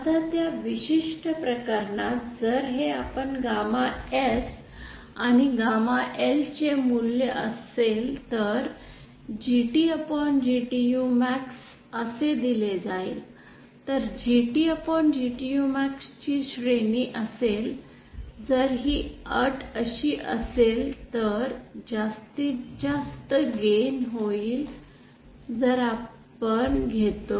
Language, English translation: Marathi, Now for that particular case if this is the value of gamma S and gamma L we take then this GT upon GTU max will be given by so this will be the range of GT upon GTU max if this is the condition that is maximum gain case if we take